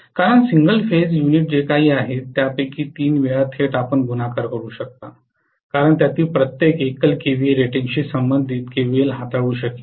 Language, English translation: Marathi, Because three times whatever is the single phase unit directly you can multiply because each of them will be able to handle a kva corresponding to the single phase Kva rating